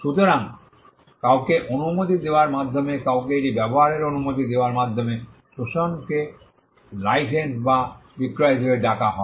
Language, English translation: Bengali, So, exploitation by giving permission to somebody to use it what we call a granting permission is called as a licence or by a sale